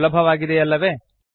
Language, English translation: Kannada, Easy isnt it